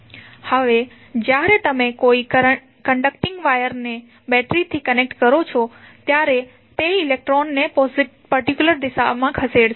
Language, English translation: Gujarati, Now, when you are connecting a conducting wire to a battery it will cause electron to move in 1 particular direction